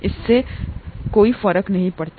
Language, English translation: Hindi, That doesnÕt matter